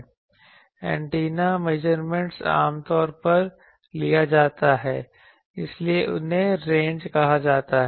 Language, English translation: Hindi, Antenna measurements are usually taken so they are called ranges